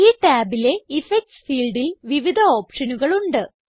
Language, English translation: Malayalam, In the Effects field under this tab there are various options